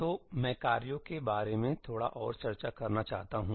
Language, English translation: Hindi, I want to discuss a little bit more about tasks